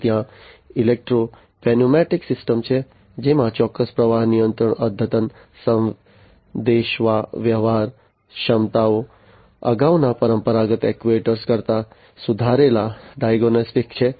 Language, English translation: Gujarati, Then there are the electro pneumatic systems, which have precise flow control, advanced communication capabilities, improved diagnostics than the previous traditional actuators